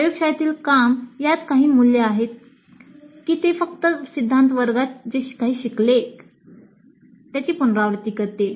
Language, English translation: Marathi, The laboratory work does it add any value to that or whether it just simply repeats whatever has been learned in the theory class